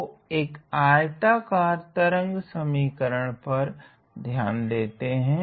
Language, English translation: Hindi, So, consider a rectangular wave function